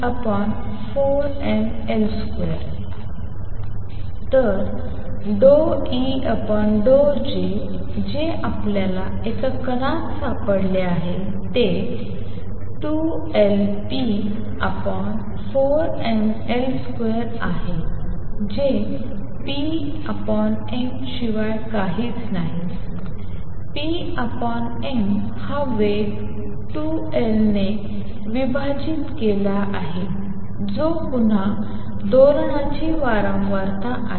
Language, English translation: Marathi, So, what we have found in particle in a box d E d J is nothing but 2L p over 4 m L square which is nothing but p over m, p over m is the velocity divided by 2L which is again the frequency of oscillation nu